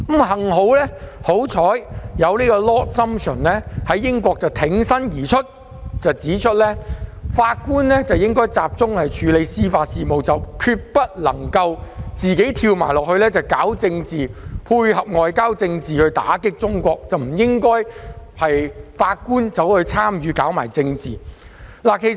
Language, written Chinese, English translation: Cantonese, 幸好 Lord SUMPTION 挺身而出，指出法官應集中處理司法事務，決不應參與政治，配合外交政策打擊中國，這實非法官所應為。, Thankfully Lord SUMPTION courageously came forward to point out that judges should focus on judicial matters and never get involved in politics to tie in with any foreign policy against China which is indeed what judges should never do